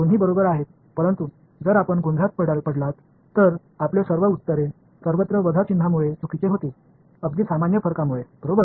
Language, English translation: Marathi, Both are correct, but if you get confused you will all your answers will be wrong by minus sign everywhere ok, because of the simple difference ok